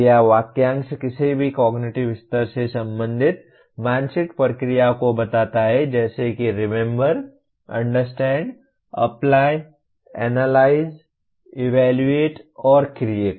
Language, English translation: Hindi, Verb phrase states the mental process belonging to any of the cognitive levels namely Remember, Understand, Apply, Analyze, Evaluate, and Create